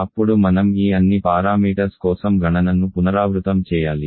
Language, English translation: Telugu, Then you have to repeat the calculation for all this parameters